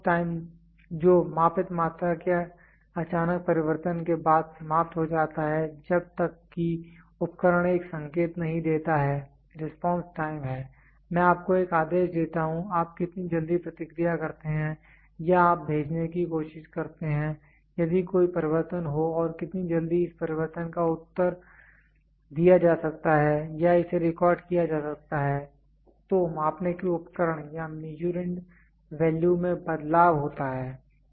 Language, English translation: Hindi, The response time, which elapses after sudden change of the measured quantity until the instruments gives an indication so, response time is I give you a command, how quick you respond or you try to send; there is a change in the measuring device or the Measurand value if there is a change in and how quickly this change can be responded or this can be recorded